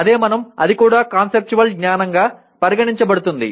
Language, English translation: Telugu, That is what we/ that also is considered conceptual knowledge